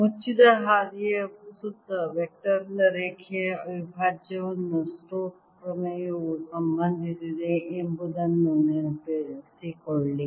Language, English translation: Kannada, recall that stokes theorem relates the line integral of a vector around a closed path